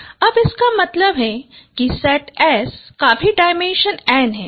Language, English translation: Hindi, Now does it mean the dimension of the set S is also n